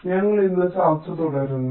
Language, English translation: Malayalam, so we continue with our discussion today